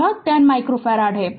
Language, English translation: Hindi, C is equal to 1 micro farad